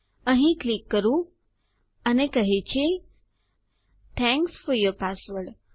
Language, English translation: Gujarati, Let me click here and it says thanks for your password